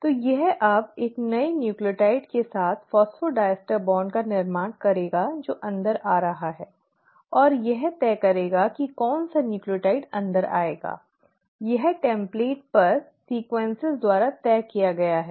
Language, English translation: Hindi, So this will now form of phosphodiester bond with a new nucleotide which is coming in and what will decide which nucleotide will come in; that is decided by the sequences on the template